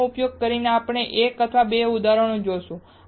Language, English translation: Gujarati, Using these we will see later on one or two examples